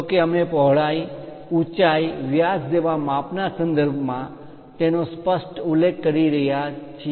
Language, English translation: Gujarati, Though we are clearly mentioning it in terms of size like width height diameter and so on